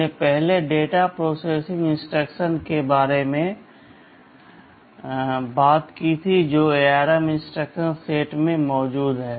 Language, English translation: Hindi, We first talked about the data processing instructions that are present in the ARM instruction set